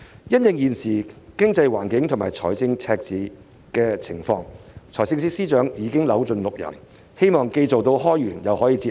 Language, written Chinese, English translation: Cantonese, 因應現時經濟環境及財政赤字的狀況，司長已扭盡六壬，希望既做到開源又可以節流。, In view of the current economic situation and fiscal deficit FS has racked his brain in a bid to generate new sources of revenue and cut expenditure